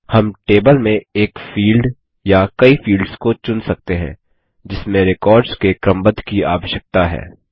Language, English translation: Hindi, We can choose one field or multiple fields in a table on which the records need to be indexed